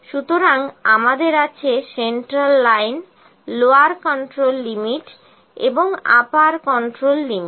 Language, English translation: Bengali, So, we have central line, lower control limit, and upper control limit